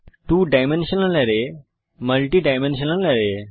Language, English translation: Bengali, Two dimensional array and Multi dimensional array